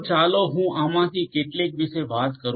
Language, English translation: Gujarati, So, let me talk about some of these